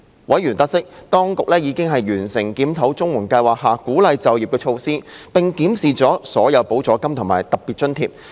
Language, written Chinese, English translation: Cantonese, 委員得悉，當局已完成檢討綜援計劃下鼓勵就業的措施，並檢視了所有補助金和特別津貼。, Members were advised that the Administration had completed a review of the pro - employment measures and looked into all supplements and special grants under the CSSA Scheme